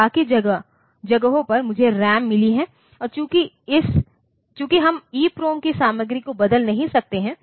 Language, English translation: Hindi, So, rest of the places I have got RAM and since we would have we cannot change the content of EPROM